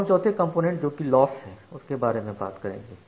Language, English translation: Hindi, OK, now, coming to the fourth component which is the Loss